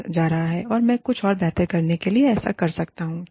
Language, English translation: Hindi, I can do this, to improve something else